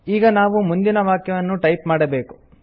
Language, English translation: Kannada, Now, we need to type the next sentence, should we not